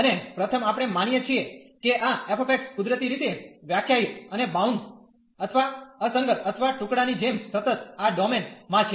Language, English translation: Gujarati, And first we assume that this f x naturally is as defined and bounded or discontinuous or piecewise continuous in this domain